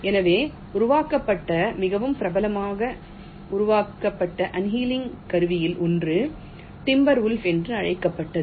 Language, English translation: Tamil, so one of the very popular simulated annealing tool that was developed was called timber wolf